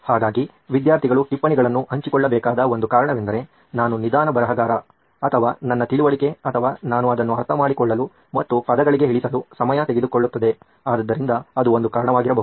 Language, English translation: Kannada, So one reason why students need to share notes is probably because I am a slow writer or my understanding or it takes time for me to comprehend and put it down to words, so that might be one reason